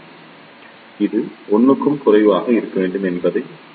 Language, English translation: Tamil, So, we know that this will be less than 1